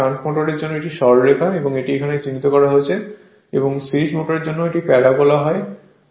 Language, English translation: Bengali, For shunt motor this is straight line right this is marked it here, and for series motor it is parabola right